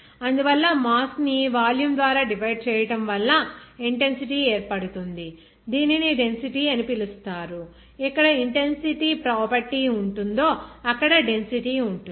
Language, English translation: Telugu, So, that is why mass divided by volume results in an intensity that is called density where intensity property that is density